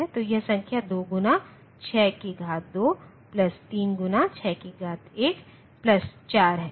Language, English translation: Hindi, So, this number is 2 into 6 to the power 2 plus 3 into 6 to the power 1 plus 4